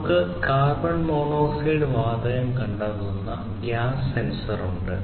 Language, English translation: Malayalam, This sensor can detect carbon monoxide gas